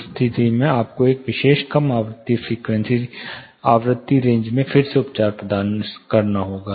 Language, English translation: Hindi, In that case you will have to provide treatment again in that particular low frequency range